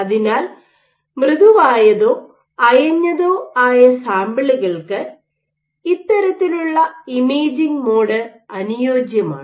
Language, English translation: Malayalam, So, this kind of mode is particularly suited for soft loosely attached samples